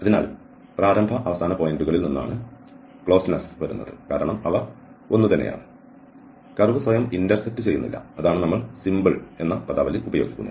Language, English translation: Malayalam, So, the closeness coming from the initial and the end points because they are same and the curve does not intersect itself that is what we use this terminology simple